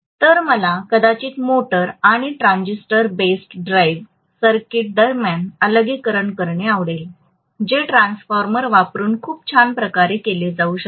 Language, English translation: Marathi, So I might like to have the isolation between the motor and the transistor based drive circuit that can be done very nicely by using a transformer